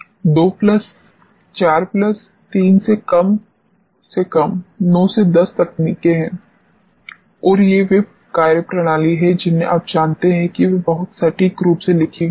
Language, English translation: Hindi, 2 plus 4 plus 3 at least 9 10 techniques and that to these are the methodologies which are you know very precisely instrumented